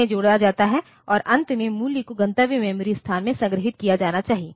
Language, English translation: Hindi, They are there to be added and finally, the value should be stored in the in the destination memory location